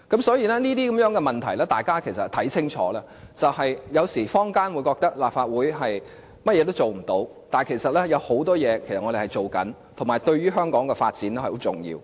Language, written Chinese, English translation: Cantonese, 所以，大家可看清楚這些情況，有時坊間會認為立法會甚麼事也做不了，但其實我們正在做很多工作，同時亦對香港的發展是很重要。, From time to time opinions among the public may be that the Legislative Council is unable to do anything . But in fact we are doing a lot of work which is very important to the development of Hong Kong